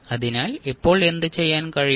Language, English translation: Malayalam, So what we can do now